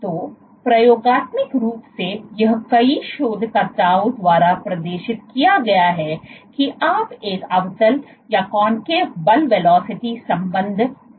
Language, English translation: Hindi, So, experimentally it has been demonstrated by several researchers that you might have a concave force velocity relationship